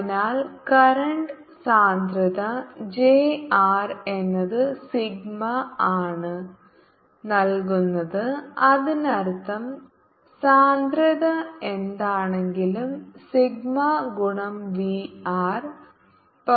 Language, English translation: Malayalam, so current density, which is j r, is given by sigma, means whatever density is there, sigma into v r